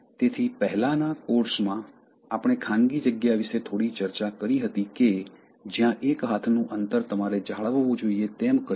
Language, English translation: Gujarati, So, in the previous course, we discussed something about the private space where, there is this, arms distance you should maintain